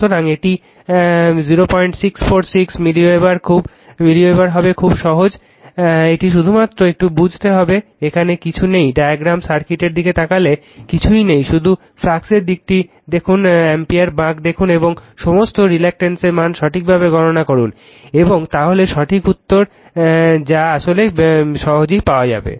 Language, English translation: Bengali, 646 milliweber, very simple it is only you have to understand little bit right nothing is there, looking at the diagram circuit nothing is there just see the direction of the flux see the ampere turns and calculate all the reluctances value dimensions correctly right and then you will get your what you call the correct answer right nothing is there actually right